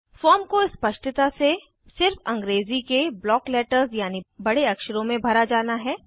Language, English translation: Hindi, The form is to be filled legibly in BLOCK LETTERS in English only